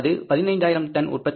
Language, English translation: Tamil, That is 15,000 units